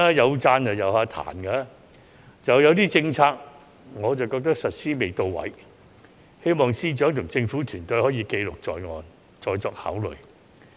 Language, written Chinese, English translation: Cantonese, 有讚當然有彈，我認為司長有些政策實施未到位，希望司長及政府團隊可以記錄在案，再作考慮。, In my view some policies implemented by FS are inadequate . I hope that FS and the Administration will put my views on record for further consideration